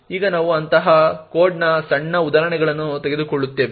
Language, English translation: Kannada, Now we will take a small example of such a code